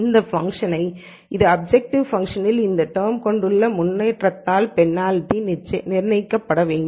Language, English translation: Tamil, And this penalty should be o set by the improvement I have in this term of the objective function